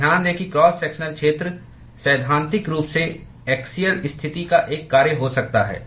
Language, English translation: Hindi, And note that the cross sectional area could in principle be a function of the axial position